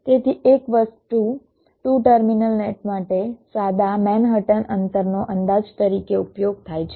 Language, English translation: Gujarati, so one thing: for two terminal nets, simple manhattan distance is use as a estimate